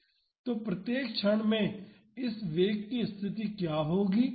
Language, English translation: Hindi, So, what will be the position of this velocity at each instant